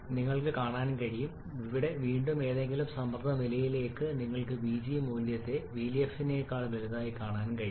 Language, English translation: Malayalam, You can see here again for any pressure level you can see the vg value significantly larger than vf